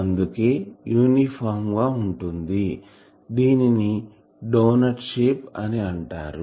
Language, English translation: Telugu, So, that is why it is uniformed this shape is called doughnut shape doughnut